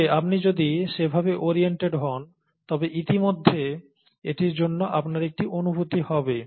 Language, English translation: Bengali, But, if you are oriented that way, you would already have a feel for it